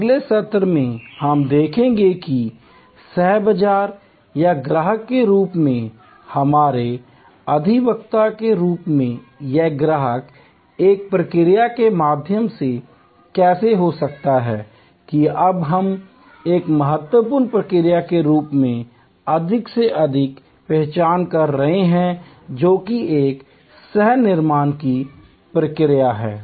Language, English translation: Hindi, In the next session, we will see that how this customer as co marketer or customer as our advocate can happen through a process that we are now recognizing more and more as an very important process which is the process of co creation all that next week